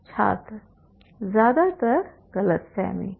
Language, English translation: Hindi, I am mostly misunderstanding